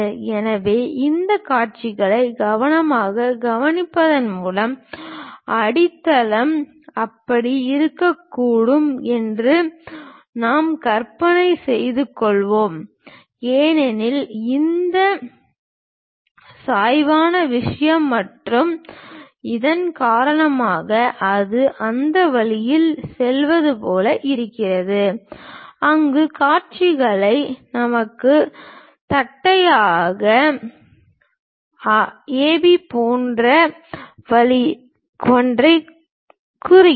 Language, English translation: Tamil, So, by carefully observing these views we can imagine that, may be the block the basement might look like that and because this inclination thing and because of this, it might be something like it goes in that way where the views tell us something like a flat base is there